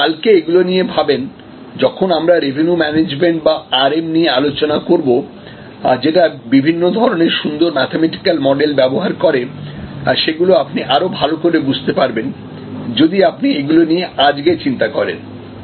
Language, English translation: Bengali, Then, if you thing about this tomorrow when we discussed Revenue Management or RM, which uses various kinds of nice mathematical models, etc, but those models of discussions will become for more comprehensible, if you can actually thing in your mind today